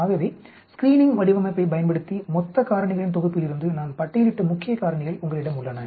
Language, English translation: Tamil, So you have factors which are key factors which I shortlisted from the entire set of factors using a screening design